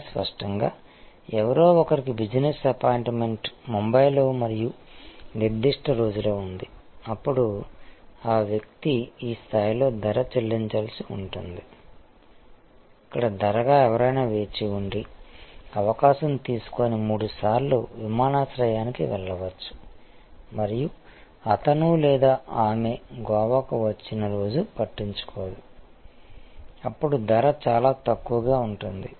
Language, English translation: Telugu, But obviously, somebody has an a appointment business appointment has to be in Bombay and certain particular day, then that person will have to pay price at this level, where as price somebody who can wait and take chance and go to the airport three times and does not care, which day he or she arrives in Goa, then the price can be quite low